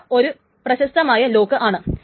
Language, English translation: Malayalam, This is a famous rather an unfamous lock